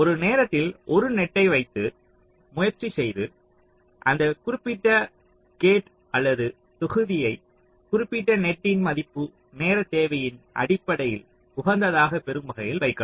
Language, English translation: Tamil, so you look at one net at a time and try to place that particular gate or module in such a way that that particular net value gets optimized in terms of the timing requirement